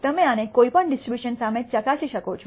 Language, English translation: Gujarati, You can test this against any distribution